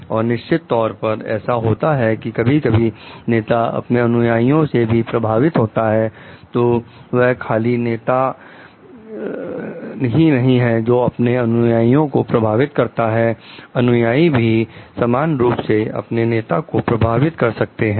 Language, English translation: Hindi, And in definitely, it so it may so happen like the sometimes leaders also get influenced from their followers, so it is not only the leader is going to influence the follower, followers may equally influenced the leader